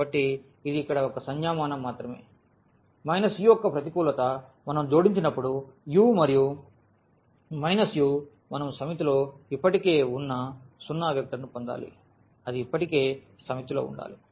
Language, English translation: Telugu, So, this is just a notation here minus u the negative of u such that when we add this u and this negative of u we must get the zero vector which already exists there in the set